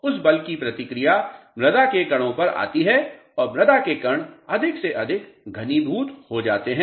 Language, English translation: Hindi, The reaction of that force comes on the soil particles and soil particles become more and more densely packed